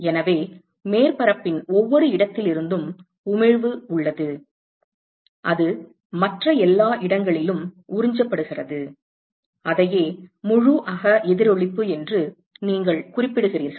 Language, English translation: Tamil, So, there is emission from every location of the surface it is just absorbed in all other locations as well that is what you mean by total internal reflection right